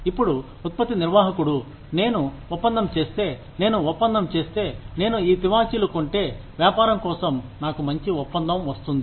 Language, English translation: Telugu, Now, the product manager says, that if I do the deal, if I make the deal, if I buy these carpets, I will get a good deal for the business